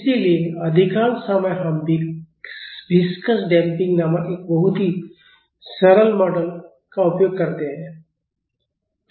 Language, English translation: Hindi, So, in most of the time we use a very simple model called viscous damping